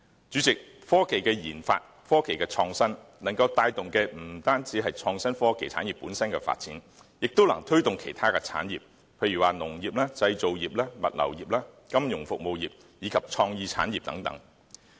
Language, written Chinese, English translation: Cantonese, 主席，科技的研發和創新能帶動的不止是創新科技產業本身的發展，也能推動其他產業，例如農業、製造業、物流業、金融服務業及創意產業等。, President technology research and innovation can not only lead to innovation and technology development itself but also give impetus to other industries such as agriculture manufacturing logistics financial services and creative industries